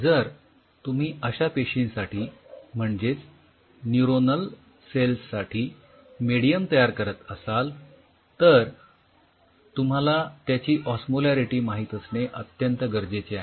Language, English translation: Marathi, So, if you are developing a medium for the neuronal cells, then you should know that what is the mill osmolarity